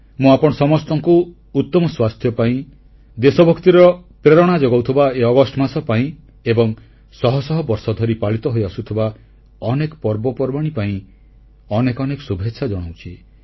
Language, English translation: Odia, I wish all of you best wishes for good health, for this month of August imbued with the spirit of patriotism and for many festivals that have continued over centuries